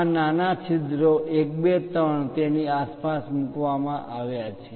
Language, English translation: Gujarati, Thisthese smaller holes 1, 2, 3 are placed around that